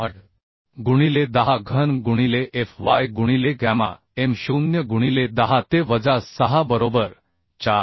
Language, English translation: Marathi, 8 into 10 cube into fy by gamma m0 into 10 to the power minus 6 is equal to 4